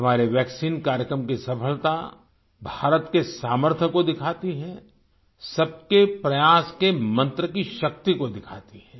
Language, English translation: Hindi, The success of our vaccine programme displays the capability of India…manifests the might of our collective endeavour